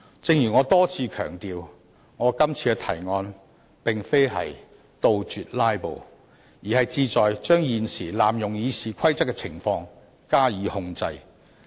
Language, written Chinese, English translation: Cantonese, 正如我多次強調，我今次提出的擬議決議案，並非是要杜絕"拉布"，只是想對現時濫用《議事規則》的情況加以控制。, As I stressed repeatedly my purpose in tabling this proposed resolution is not to extirpate filibustering but just to contain the current problem of abusing the Rules of Procedure